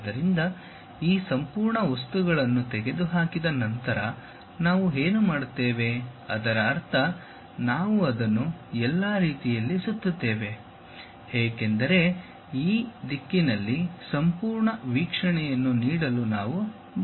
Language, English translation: Kannada, So, what we do is after removing this entire materials thing, we revolve it down all the way; because we would like to see something like a complete view in this direction